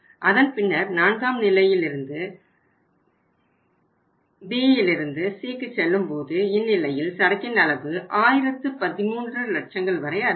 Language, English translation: Tamil, And then from the at the fourth level from the B to C say if they go from B to C in that case say uh inventory level will go up to 1013 lakhs